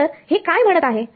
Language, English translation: Marathi, So, what is its saying